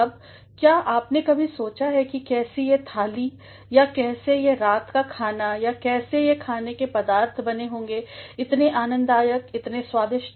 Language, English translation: Hindi, Now, have you ever thought of how this meal or how this dinner or how the food items might have been very delightful, very tasteful